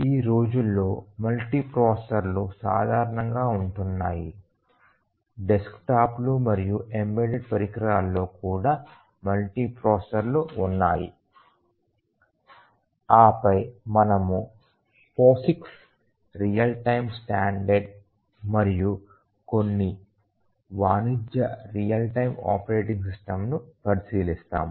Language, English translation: Telugu, Because nowadays multiprocessors are becoming common place even the desktops embedded devices have multiprocessors and then we will look at the Posix real time standard and then we will look at some of the commercial real time operating system